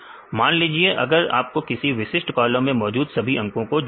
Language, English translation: Hindi, So, now, if you want to add all the numbers in a particular column